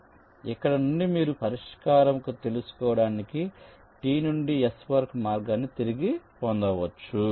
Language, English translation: Telugu, so from here you can retrace the path from t to s to find out the solution